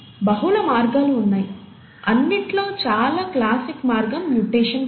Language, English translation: Telugu, There are multiple ways, and the most classic way is the process of mutation